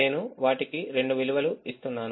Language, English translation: Telugu, i am just giving two values to them